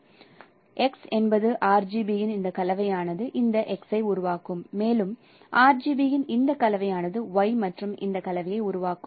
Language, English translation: Tamil, So X is a this combination of RGB will produce this X and this combination of RGB will produce Y and this combination of RGB will produce Z as you can see that this factor is more than 1